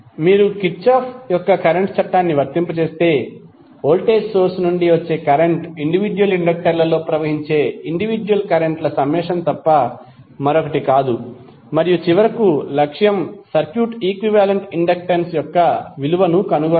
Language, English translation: Telugu, So if you if you apply Kirchhoff’s current law, you will get i that is the current coming from the voltage source is nothing but the summation of individual currents flowing in the individual inductors and finally the objective is to find out the value of equivalent inductance of the circuit